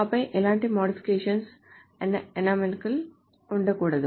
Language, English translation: Telugu, And then there should not be any modification anomalies